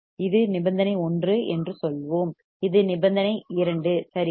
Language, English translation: Tamil, Let us say this is condition one; this is condition two right